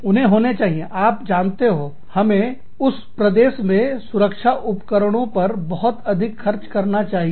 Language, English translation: Hindi, They should be, you know, we should be spending, much more on protective gear, in that region